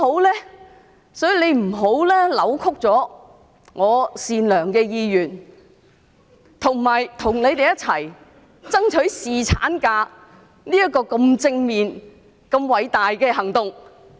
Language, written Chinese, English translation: Cantonese, 他不應扭曲我善良的意願，以及我與他們一起爭取侍產假這項如此正面和偉大的行動。, How nice! . He should not distort my goodwill and my intention of taking such a positive and great action to strive for paternity leave together with them